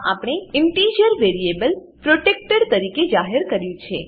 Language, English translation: Gujarati, In this we have declared integer variables as as protected